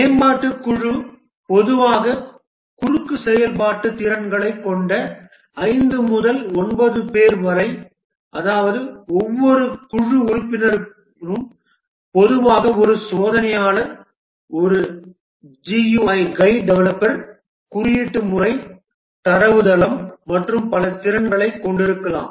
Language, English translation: Tamil, The development team typically 5 to 9 people with the crossfunctional skills, that means each team member typically has multiple skills, may be a tester, a GY developer, coding, database, and so on